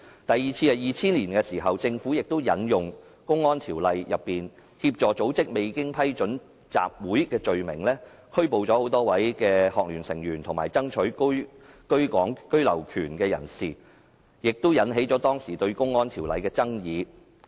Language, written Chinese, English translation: Cantonese, 第二次是在2000年，政府亦引用《公安條例》所訂有關協助組織未經批准集結的罪行，拘捕多位香港專上學生聯會的成員及爭取居港權的人士，引起當時對《公安條例》的爭議。, The second occasion was in 2000 when the Government arrested members of the Hong Kong Federation of Students and people fighting for right of abode for the offence assisting in the organization of an unauthorized assembly under the Public Order Ordinance . The incident aroused a controversy over the Public Order Ordinance